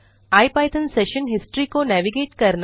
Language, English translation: Hindi, navigate the ipython session history